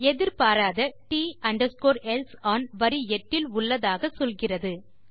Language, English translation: Tamil, It says an unexpected T else on line 8 Lets find line 8